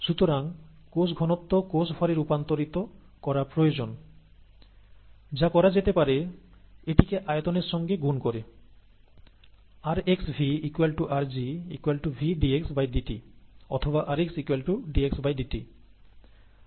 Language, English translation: Bengali, So cell concentration needs to be converted to cell mass, which can be done by multiplying it by the volume, rx into V equals rg, equals V dxdt